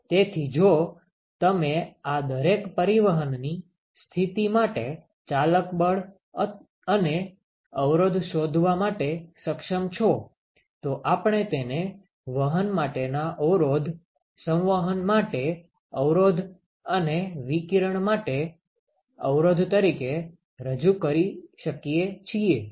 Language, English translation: Gujarati, So, if you are able to find out the driving force and resistances for each of these mode of transport, then we could represent it as resistance for conduction, resistance for convection and resistance for radiation ok